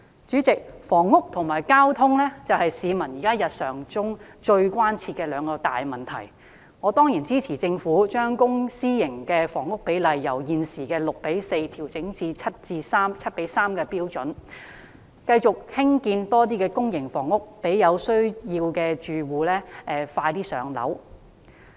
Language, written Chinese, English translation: Cantonese, 主席，房屋和交通是市民日常生活中最切身的兩大問題，我當然支持政府將公私營房屋比例由現時的 6：4 調整至 7：3 的標準，繼續興建更多公營房屋讓有需要的住戶能盡快"上樓"。, President housing and transportation are two major issues most closely related to peoples daily life . I certainly support the Governments decision to adjust the public - private housing split from 6col4 to 7col3 and the continued construction of more public housing units to facilitate the early allocation of public housing units to households in need